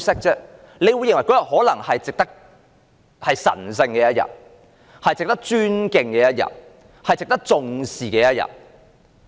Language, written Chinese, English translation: Cantonese, 可能有意見認為這是神聖的一天、值得尊敬的一天、值得重視的一天。, Some people may say the arrangement is made because the Victory Day is sacred worthy of our respect and attention